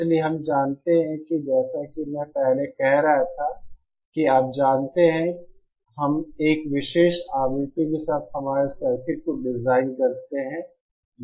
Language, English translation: Hindi, So we know that as I was saying before that you know we design our circuit with at a particular frequency